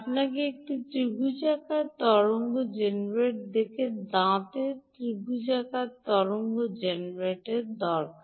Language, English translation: Bengali, you need a triangular wave generator, sawtooth triangular wave generator